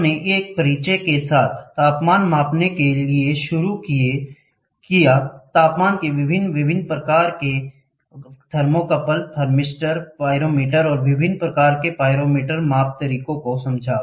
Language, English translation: Hindi, We started with an introduction to temperature measuring, various methods of temperature measurements, thermocouple, different types of thermocouple, thermistor, pyrometer and different types of the pyrometer